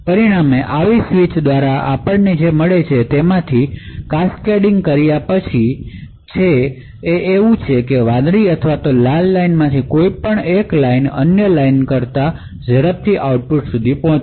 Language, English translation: Gujarati, So, as a result, after cascading through a number of such switches what we get is that one of these lines either the blue or the Red Line would reach the output faster than the other line